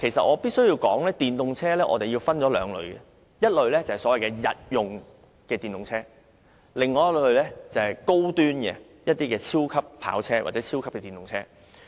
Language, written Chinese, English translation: Cantonese, 我必須說明電動車分為兩類，第一類是所謂日用電動車，而第二類則是高端的超級跑車或超級電動車。, I must explain that EVs can be categorized into two types . The first type of EVs is for daily uses and the second type is those high - end supercars or super EVs